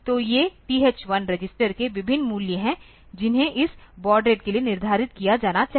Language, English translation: Hindi, So, these are the various values of TH1 register that should be set for this for getting this baud rate